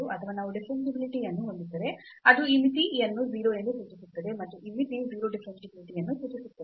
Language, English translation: Kannada, Or if we have differentiability it will imply that this limit is 0, and this limit 0 will imply differentiability